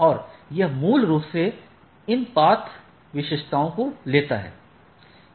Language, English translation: Hindi, So, which is based on the path attributes